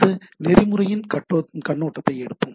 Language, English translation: Tamil, So, we will take a overview of the this protocol